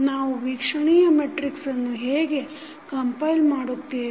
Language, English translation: Kannada, How we compile the observability matrix